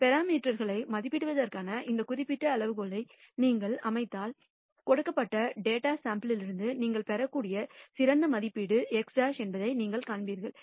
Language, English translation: Tamil, And if you set up this particular criterion for estimating parameters you will nd that x bar is the best estimate that you can get from the given sample of data